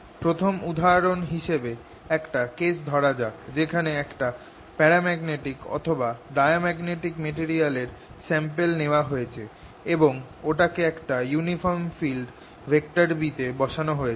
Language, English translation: Bengali, as the first example, let us take the case where i take a sample of magnetic material, paramagnetic or diamagnetic, and put it in a uniform field b